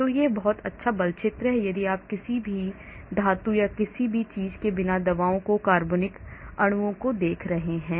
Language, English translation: Hindi, So this is a very good force field if you are looking at drugs organic molecules, without any metals or something